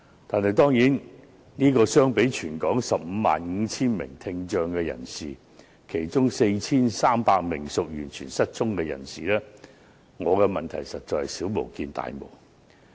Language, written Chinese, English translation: Cantonese, 但是，相比全港 155,000 名聽障人士，特別是其中 4,300 名完全失聰的人士，我的問題實在是小巫見大巫。, I often say My eyes are dim and my ears deaf but as compared with the 155 000 people with hearing impairment in Hong Kong especially the 4 300 deaf people my problems are minor